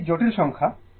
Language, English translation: Bengali, This is a simply complex number